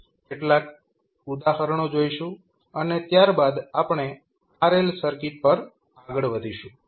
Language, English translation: Gujarati, We will see some examples and then we will move onto rl circuit also